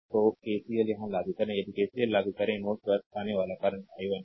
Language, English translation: Hindi, So, apply KCL here if you apply KCL, incoming current at node a is i 1, right